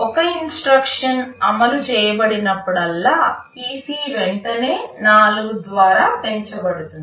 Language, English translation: Telugu, Whenever an instruction is executed PC is immediately incremented by 4